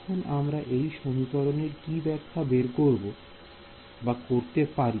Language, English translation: Bengali, Now, what am I can we give a interpretation to this equation